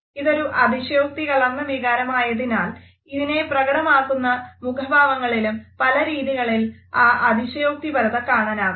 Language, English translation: Malayalam, As it is an exaggerated emotion, we find that there are many ways in which it is expressed in an exaggerated manner by our facial features